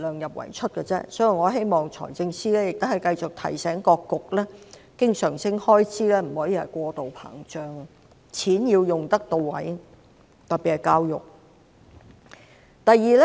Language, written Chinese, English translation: Cantonese, 因此，我希望財政司司長繼續提醒各局，經常性開支不能過度膨脹，錢要用得到位，特別是教育方面的開支。, Therefore I hope that the Financial Secretary will keep reminding various bureaux that recurrent expenditure cannot be expanded exceedingly and the money must be spent in a targeted manner especially the expenditure on education